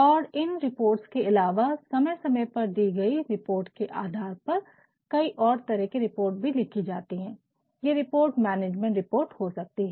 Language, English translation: Hindi, And, based on that from time to time apart from all these reports, there can be some other reports alsobeing written what are they these reports either can be management report